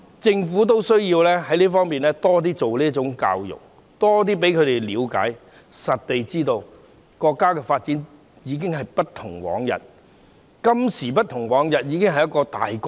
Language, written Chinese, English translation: Cantonese, 政府需要多做這方面的教育，多讓年青人了解，實地認識國家的發展已經今非昔比，現時已經是一個大國。, Please go to the Mainland and take a look . The Government should step up education in this regard so that young people can gain a fuller understanding of the countrys present development which is totally different from the past and has turned it into a powerful nation